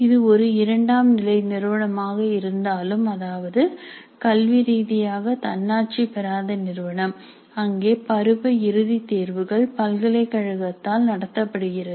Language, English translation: Tamil, Even if it is a Trial to institute, that means academically non autonomous institute where the semester and examination is held by the university